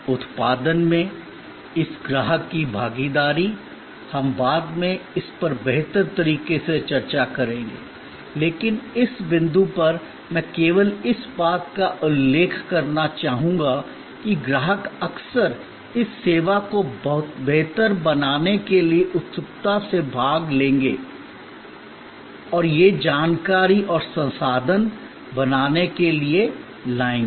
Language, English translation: Hindi, This customer involvement in production we will discuss it in much better detail later on, but at this point I would only like to mention in passing that the customer often will eagerly participate in bettering the service, he or she will bring information and resources to make the final performance better